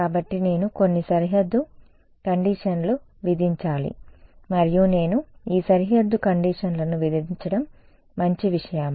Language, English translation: Telugu, So, I need to impose some boundary conditions and I impose this boundary conditions is that a good thing